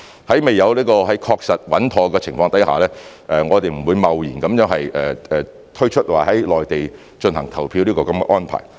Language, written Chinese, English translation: Cantonese, 在未有確實穩妥的情況下，我們不會貿然推出在內地進行投票的安排。, We will not hastily implement the arrangement in the Mainland for voting until we have confirmed that it would be proper to do so